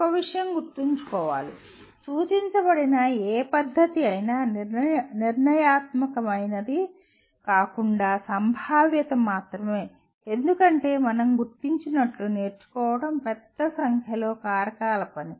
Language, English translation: Telugu, One thing should be remembered, any method that is suggested is only probabilistic rather than deterministic because learning as we noted is a function of a large number of factors